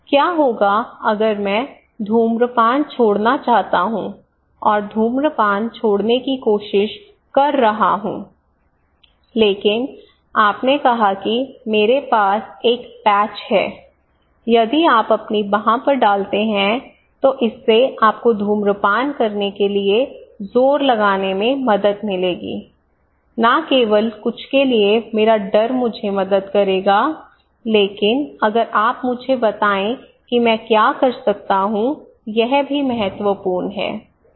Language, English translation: Hindi, So, what if I want to quit smoking and trying to quit smoking, but I felt several times, but you said okay I have one patch if you put on your arm it would help you not to have the thrust for smoking okay not the appetite for smoking so that would significantly help me to quit smoking not only my fear for something would help me but if you let me know what I can do is also important